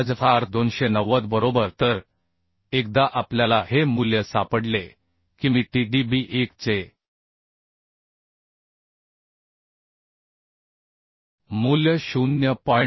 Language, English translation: Marathi, 5 into 10 290 right So once we found this value I can find out the value of Tdb1 as 0